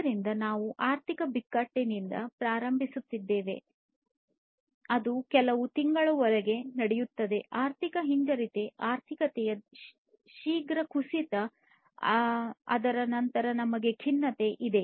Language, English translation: Kannada, So, we start with the economic crisis then that is that will take place for few months, then recession, basically it is a slowing down, a rapid slowdown of the economy and thereafter we have the depression